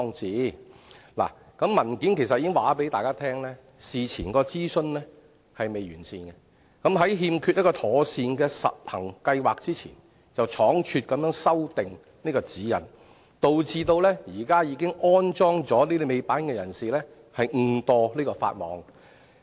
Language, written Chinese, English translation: Cantonese, 主體答覆其實已經告訴大家，事前的諮詢並不完善，在欠缺一個妥善的實行計劃之前，便倉卒修訂《指引》，導致現時已經安裝尾板的車主誤墮法網。, In fact the main reply already tells us that the Government has failed to conduct proper prior consultation and has hastily published the revised GN without a sound prior implementation plan